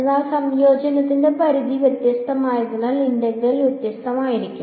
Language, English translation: Malayalam, But the integral will be different because limits of integration are different